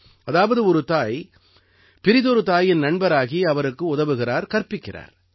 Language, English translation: Tamil, That is, one mother becomes a friend of another mother, helps her, and teaches her